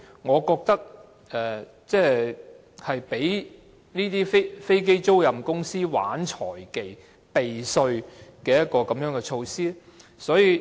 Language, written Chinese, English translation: Cantonese, 我認為這是容許飛機租賃公司玩弄財技，避稅的措施。, I think this measure allows aircraft leasing companies to play with financial management techniques and resort to tax avoidance